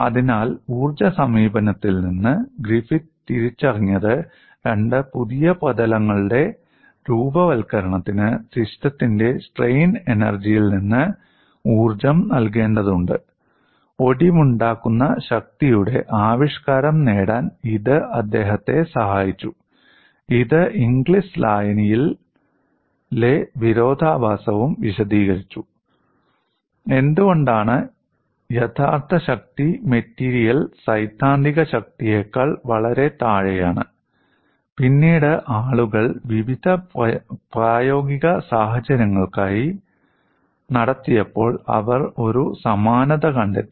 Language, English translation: Malayalam, So from the energy approach, Griffith identified formation of two new surfaces requires energy to be given from the strain energy of the system helped him to get the expression for fracture strength, which also explain the paradox of Inglis solution, also explained why actual strength of the material is far below the theoretical strength, and later on when people carried out for variety of practical situations, they found the similarity